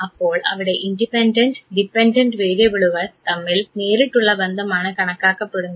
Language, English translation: Malayalam, So, direct correlation between the independent and the dependent variable